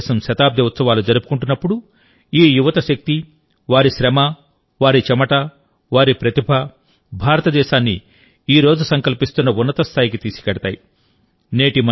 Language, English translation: Telugu, When India celebrates her centenary, this power of youth, their hard work, their sweat, their talent, will take India to the heights that the country is resolving today